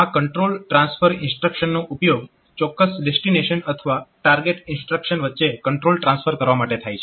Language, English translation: Gujarati, So, this control transfer instruction, so they are used for transferring control between from to a specific dest[ination] destination or target instruction